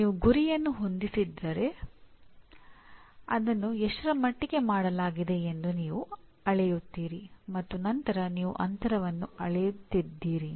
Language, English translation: Kannada, You set the target, you measure to what extent it has been done and then you are measuring the gap